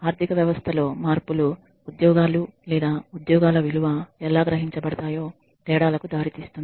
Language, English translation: Telugu, Changes in the economy can lead to a difference in how the jobs or the value of the jobs is perceived